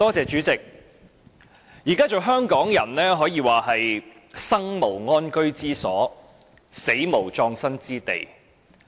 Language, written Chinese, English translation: Cantonese, 主席，現在做香港人可謂"生無安居之所，死無葬身之地"。, President at present Hong Kong people live without a decent home and die without a burial place